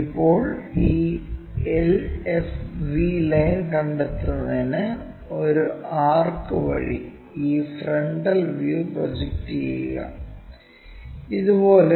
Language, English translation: Malayalam, Now, project this frontal view front view through an arc to locate this LFV line, this is the one